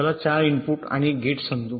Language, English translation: Marathi, lets say a four input and gate